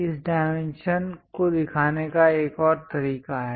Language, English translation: Hindi, There is other way of showing these dimension